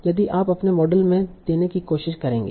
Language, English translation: Hindi, That is what you will try to give as in your model